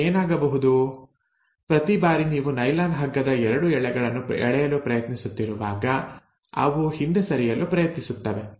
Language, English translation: Kannada, Now what will happen is, every time you are trying to pull apart the 2 strands of the nylon rope, they will try to recoil back